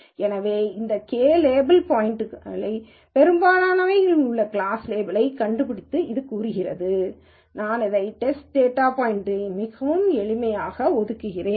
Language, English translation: Tamil, So, it says to find the class label that the majority of this k label data points have and I assign it to the test data point, very simple